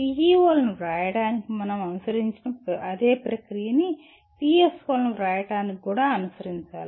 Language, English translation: Telugu, The kind of process that we followed for writing PEOs the same, similar kind of process should be followed by for writing PSOs as well